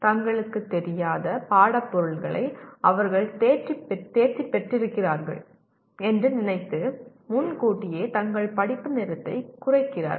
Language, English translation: Tamil, They shorten their study time prematurely thinking that they have mastered course material that they barely know